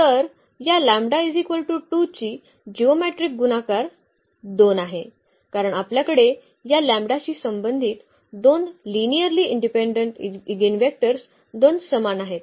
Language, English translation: Marathi, So, the geometric multiplicity of this lambda is equal to 2 is 2, because we have two linearly independent eigenvectors corresponding to this lambda is equal to 2 ok